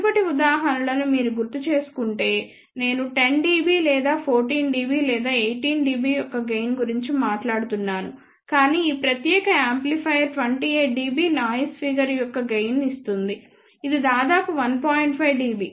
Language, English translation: Telugu, If you recall the previous examples I was talking about gain of 10 dB or 14 dB or 18 dB, but this particular amplifier gives a gain of 28 dB noise figure is also relatively low which is of the order of 1